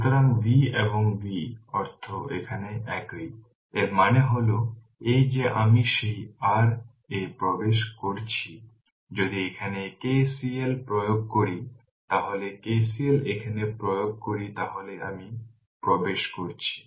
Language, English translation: Bengali, So, V and V meaning is same here right so; that means, that this i is entering into that your what you call into this if you apply KCL here, if you apply KCL here then i is entering